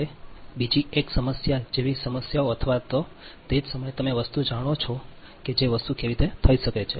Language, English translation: Gujarati, now, another one is: these are problem, like problem type or at the same time, you know the thing, how things can be done